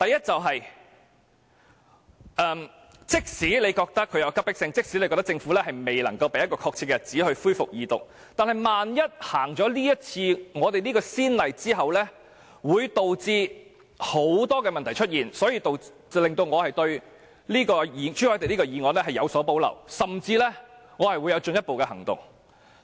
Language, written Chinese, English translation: Cantonese, 即使你覺得《條例草案》有急迫性，即使你覺得政府未能夠說出恢復二讀的確實日子，但萬一開此先例，會導致很多問題出現，這令我對朱凱廸議員的議案有所保留，甚至我會採取進一步行動。, You may think that the Bill has considerate urgency and that the Government has failed to state the exact date for resuming the Second Reading of the Bill yet the present case may set a precedent giving rise to a lot of problems . For this reason I have reservations about Mr CHU Hoi - dicks motion and I may even take further action